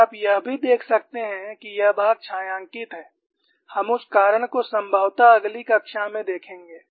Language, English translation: Hindi, And also you could see this portion is shaded, we will see that reason possibly in a next class